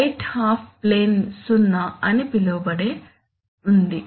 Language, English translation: Telugu, That there is a what is known as a right half plane 0